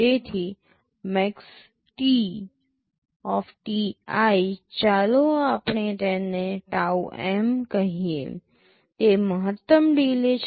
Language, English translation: Gujarati, So, maxt{ti}, let us call it taum, is the maximum delay